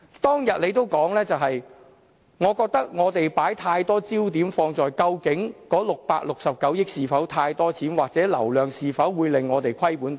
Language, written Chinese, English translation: Cantonese, 他當天說："我覺得我們把太多焦點放在究竟那669億元是否太多錢，或者那流量是否會令我們虧本等。, He said I think we have focused too much on whether the 66.9 billion funding is excessive and if the estimated patronage will make us lose money